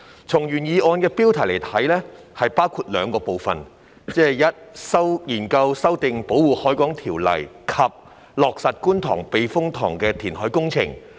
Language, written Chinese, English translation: Cantonese, 從原議案的標題來看，議案內容包括了兩個部分，即"研究修訂《保護海港條例》"及"落實觀塘避風塘填海工程"。, Judging from the subject of the original motion the content of the motion consists of two parts namely examining the amendment of the Protection of the Harbour Ordinance and implementing the Kwun Tong Typhoon Shelter KTTS reclamation works